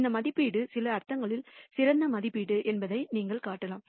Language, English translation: Tamil, You can also show that this estimate is the best estimate in some sense